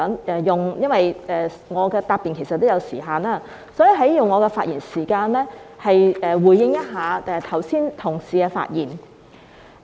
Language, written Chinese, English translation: Cantonese, 因為我的答辯也有時限，所以我想用我的發言時間回應剛才同事的發言。, Since there is a time limit on my reply I would like to use my speaking time to respond to Members who have just spoken